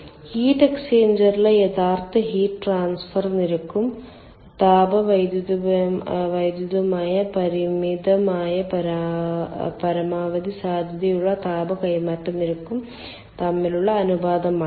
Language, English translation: Malayalam, it is the ratio of actual heat transfer rate in the heat exchanger to the thermodynamically limited maximum possible rate of heat transfer